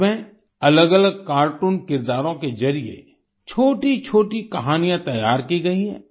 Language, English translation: Hindi, In this, short stories have been prepared through different cartoon characters